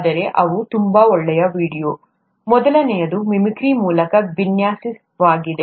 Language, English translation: Kannada, But they are very good videos, the first one is design through mimicry